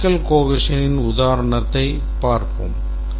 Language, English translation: Tamil, Let's look at an example of logical equation